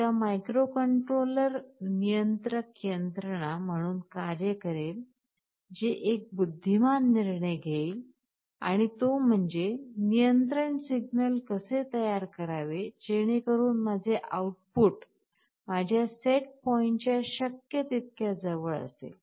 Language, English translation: Marathi, There is a microcontroller will be acting as the controller mechanism that will take an intelligent decision, how to generate the control signal so that my output is as close as possible to my set point